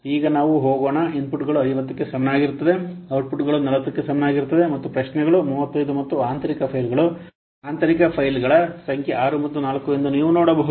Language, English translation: Kannada, You can see that the inputs is equal to 50, outputs is equal to 40 and queries is 35 and internal files you can see that number of internal files is 6 and 4 is the external interfaces that